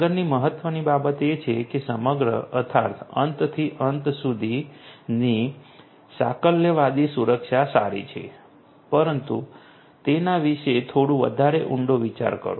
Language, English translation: Gujarati, Next important thing is that whole you know holistic end to end security is fine, but think about it little bit deeper